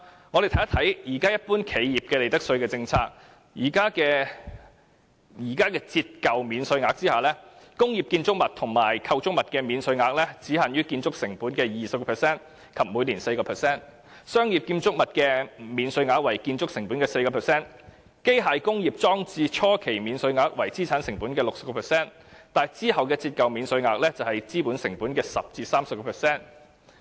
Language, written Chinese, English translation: Cantonese, 我們看看一般企業的利得稅政策，在現時的折舊免稅額下，工業建築物及構築物的免稅額只限於建築成本的 20% 及每年 4%， 商業建築物的免稅額為建築成本的 4%， 機械工業裝置初期免稅額為資產成本的 60%， 而之後的折舊免稅額則為資本成本的 10% 至 30%。, Under the existing depreciation allowance policy the initial allowance for industrial buildings and structures is 20 % on the cost of construction and the annual allowance thereafter is 4 % on the cost of construction . For commercial buildings and structures there is just an annual allowance of 4 % on the cost of construction . The initial allowance on machinery and plants is 60 % on their cost of the asset and the depreciation allowance thereafter is 10 % to 30 % of the capital cost